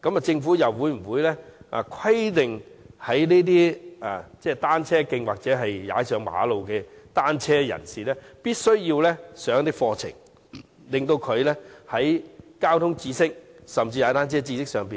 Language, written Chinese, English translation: Cantonese, 政府會否規定在單車徑或馬路踏單車的人士必須完成一些課程，以提升他們的交通知識，甚至踏單車的知識？, Will the Government require riders of bicycles on cycle tracks or roads to complete some courses so as to enhance their traffic knowledge and even cycling knowledge?